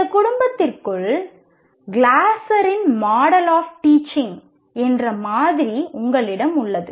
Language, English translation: Tamil, And within this family, you have a model called Glasser's model of teaching